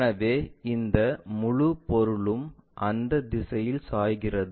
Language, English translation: Tamil, So, this entire object tilted in that direction